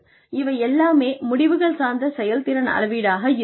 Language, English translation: Tamil, So, all of this would be, results oriented performance measurement